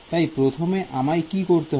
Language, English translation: Bengali, So, what is the first thing I have to do